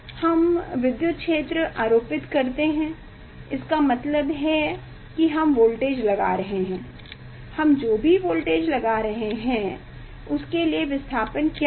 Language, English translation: Hindi, we will apply the electric field means we will apply the voltage whatever the voltage we are applying